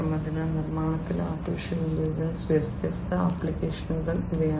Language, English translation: Malayalam, So, these are the different, you know, applications of AI in manufacturing